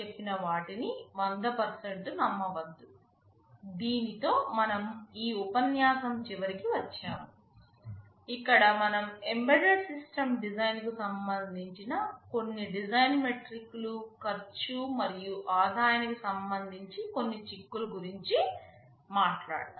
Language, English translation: Telugu, With this we come to the end of this lecture where we talked about some of the design metrics that are relevant in embedded system design, and some of the implications with respect to the cost and revenue